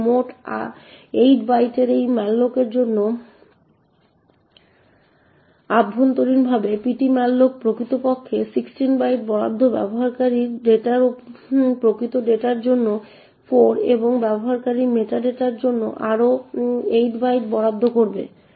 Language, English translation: Bengali, So in a typical 32 bit system you would have 8 more bytes that gets allocated, so in total for a malloc of 8 bytes internally ptmalloc would actually allocate 16 bytes, 8 for the actual data for the user data and 8 more bytes for the meta data